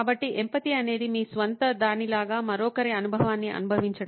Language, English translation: Telugu, So, empathy is about going through somebody else's experience as if it were your own